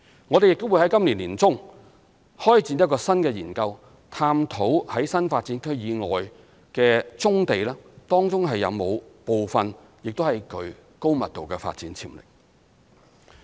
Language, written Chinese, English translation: Cantonese, 我們亦會在今年年中開展新的研究，探討在新發展區以外的棕地當中是否有部分亦具高密度的發展潛力。, By the middle of this year we will also launch a new study on brownfield sites outside NDAs to identify those with potential for high - density development